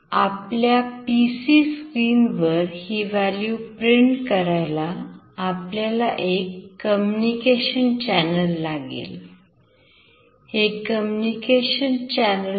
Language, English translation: Marathi, To print the value on the PC screen, we need a communication channel